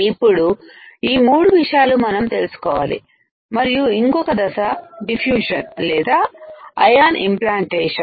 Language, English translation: Telugu, Now, these three things we need to know and one more step is diffusion or ion implantation